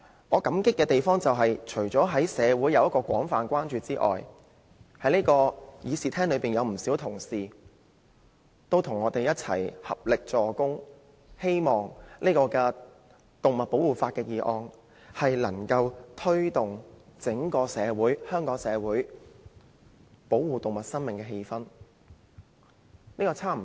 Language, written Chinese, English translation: Cantonese, 我感激社會各界廣泛關注，以及議事廳內不少同事與我們合力，藉動物保護法的議案推動整體社會保護動物生命的氣氛。, I appreciate the widespread concerns of various sectors of the community and the willingness of many Members in the Chamber to join us in promoting an awareness of animal life protection across the community by means of the motion on animal protection legislation